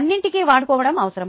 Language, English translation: Telugu, all that needs to be employed